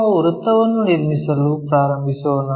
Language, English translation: Kannada, So, let us begin constructing a circle